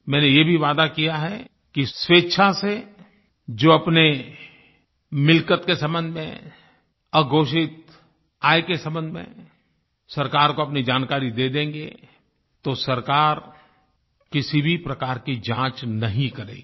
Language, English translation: Hindi, I have also promised that for those who voluntarily declare to the government their assets and their undisclosed income, then the government will not conduct any kind of enquiry